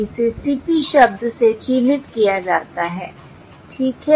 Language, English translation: Hindi, This is denoted by the term CP